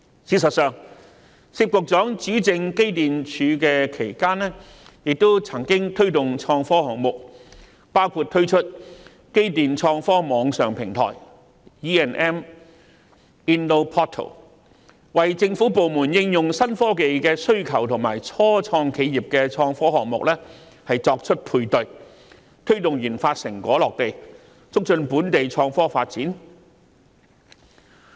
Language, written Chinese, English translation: Cantonese, 事實上，薛局長主政機電工程署期間亦曾推動創科項目，包括推出機電創科網上平台，為政府部門應用新科技的需求與初創企業的創科項目作配對，推動研發成果落地，促進本地創科發展。, As a matter of fact Secretary SIT has also promoted IT projects when he headed the Electrical and Mechanical Services Department EMSD including the launch of the EM InnoPortal with a view to matching the needs of government departments for applying new technologies with IT projects by start - ups in order to promote the commercialization of the RD results and also IT development in Hong Kong